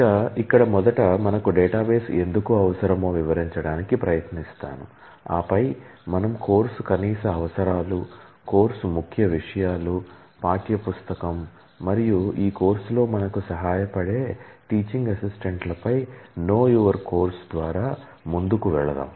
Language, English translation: Telugu, First, we will try to explain why we need databases, and then we will run through a KYC on the course prerequisites, course outline, the textbook and the TAs who will help us in this course